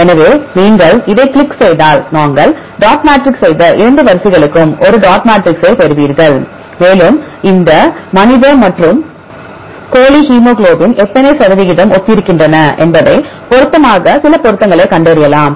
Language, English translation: Tamil, So, if you click on this then you will get a dot matrix for these 2 sequences we did the dot matrix and we found some matches how far they are similar how many percentage this human and chicken hemoglobin are similar